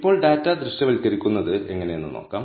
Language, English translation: Malayalam, Now, let us see how to visualize the data